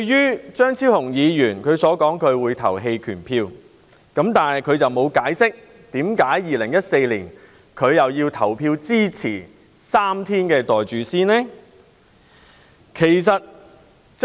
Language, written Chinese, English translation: Cantonese, 此外，張超雄議員說會在表決時棄權，但他沒有解釋為何在2014年支持3天侍產假及"袋住先"。, Besides Dr Fernando CHEUNG said that he would abstain from voting but he did not explain why he voted in support of three days paternity leave and pocket it first back in 2014